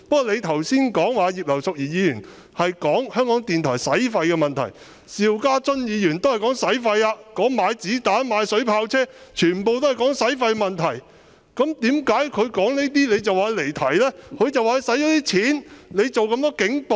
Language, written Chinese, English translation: Cantonese, 你剛才提到葉劉淑儀議員談及香港電台的開支問題，邵家臻議員提及購置子彈、水炮車，同樣涉及開支問題，為何你會認為他離題？, While you just noted Mrs Regina IPs discussion on RTHKs expenses the procurement of bullets and water cannon vehicles mentioned by Mr SHIU Ka - chun was likewise related to expenses . Why did you rule that he had digressed?